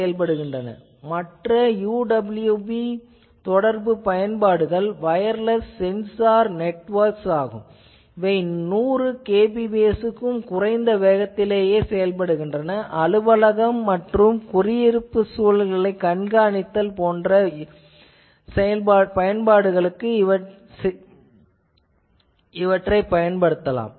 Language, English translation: Tamil, But, other UWB communication applications are for wireless sensor networks typically 100 kbps less than that speed, so monitoring office and residential environment